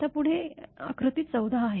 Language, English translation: Marathi, Now next is the figure 14